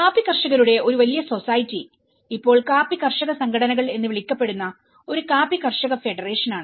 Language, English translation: Malayalam, So, being a large society of coffee growers is a coffee growers federation which is now termed as coffee growers organizations